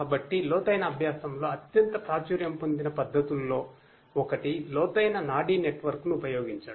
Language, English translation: Telugu, So, one of the very popular techniques in deep learning is to use deep neural network